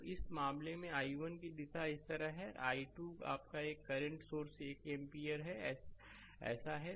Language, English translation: Hindi, So, in this case direction of i 1 is like this and i 2 your one current source 1 ampere is like this